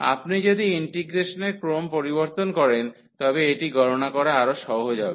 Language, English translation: Bengali, If you change the order of integration then this will be much easier to compute